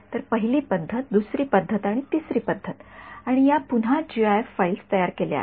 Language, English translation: Marathi, So, the first mode the second mode and the third mode and these are again gif files produced